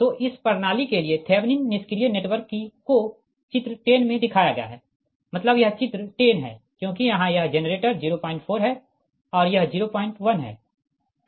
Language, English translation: Hindi, so thevenin passive network for this system is shown in figure ten, that that means this figure, that means this figure, this figure ten, because here it is generator, is point four and this is point one